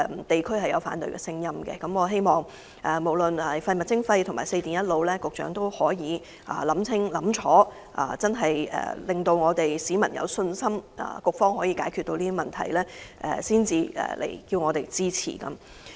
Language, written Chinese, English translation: Cantonese, 地區存在反對的聲音，因此我希望無論是實施廢物徵費和推動"四電一腦"，局長須先確保市民真的有信心局方可以解決這些問題，然後才向本會提交有關法案。, There is opposition in the community and so I hope that whether it be implementation of the waste charging or promotion of proper recycling of regulated electrical equipment the Secretary must first convince the public that the Bureau has the ability to resolve these issues before submitting the relevant bills to this Council